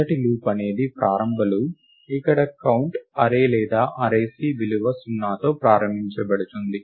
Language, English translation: Telugu, The first loop is the initialization loop, where the count array or the array C is initialized to take the value 0